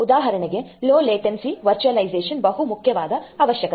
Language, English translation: Kannada, So, for example, low latency virtualization is a very important requirement